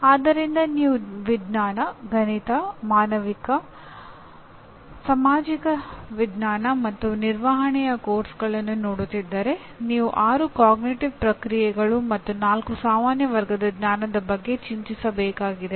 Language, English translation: Kannada, So if you are looking at courses in sciences, mathematics, humanities, social sciences and management you need to worry about six cognitive processes and four general categories of knowledge